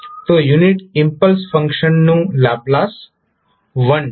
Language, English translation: Gujarati, So, the Laplace of the unit impulse function is 1